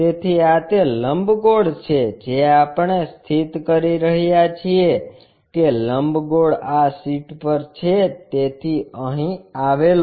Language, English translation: Gujarati, So, this is the ellipse what we are trying to locate that ellipse is this on the sheet so, here